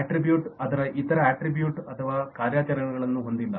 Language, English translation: Kannada, attribute does not have its other attributes or operations and so on